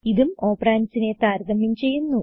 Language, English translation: Malayalam, This too compares the operands